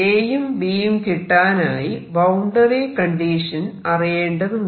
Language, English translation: Malayalam, So, A and B are fixed by the boundary conditions